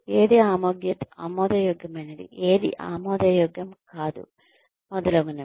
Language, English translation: Telugu, What is acceptable, what is not acceptable, etcetera, etcetera